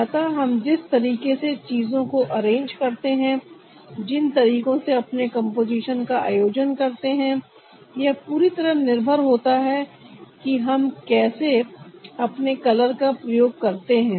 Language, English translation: Hindi, so the way we arrange the thing, the way we organize our composition, is totally dependent on how to make use of our color